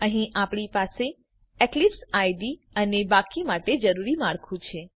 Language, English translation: Gujarati, Here We have Eclipse IDE and the skeleton required for the rest of the code